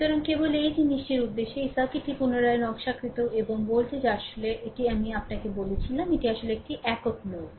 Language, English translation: Bengali, So, just for the purpose of this thing, this circuit is redrawn and voltage actually, this I told you this is actually a single node